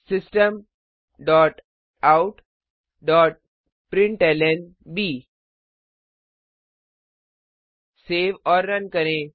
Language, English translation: Hindi, System dot out dot println Save and Run